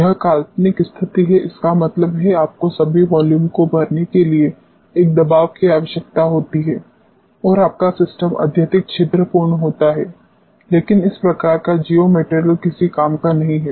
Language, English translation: Hindi, It is the hypothetical situation; that means, you require one pressure to fill all the volume and your system happens to be highly porous, but this type of is geomaterial is of no use